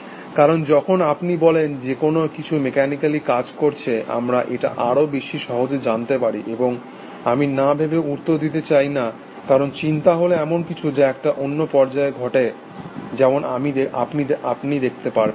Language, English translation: Bengali, Because, we can express this more easily, when do you say that something is acting mechanically, and I do not want the answer that without thinking, because thinking is a something, which happens at a different level all together as we will see